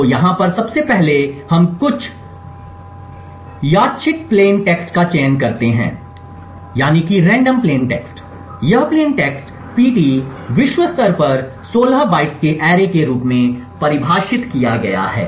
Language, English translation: Hindi, So, 1st of all over here we select some random plain text, this plain text pt is defined globally as an array of 16 bytes